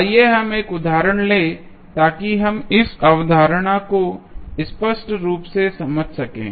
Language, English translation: Hindi, let us take 1 example so that we can understand this concept clearly